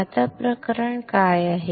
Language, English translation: Marathi, Now what is the case